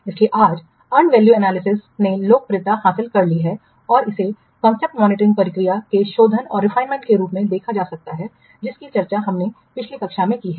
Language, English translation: Hindi, So and value analysis nowadays has gained in popularity and it can be viewed as a refinement to the customer monitoring process that we have discussed in the last class